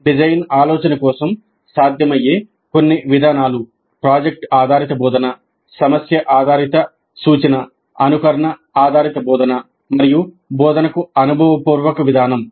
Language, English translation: Telugu, Some of the possible approaches for design thinking would be project based instruction, problem based instruction, simulation based instruction, experiential approach to instruction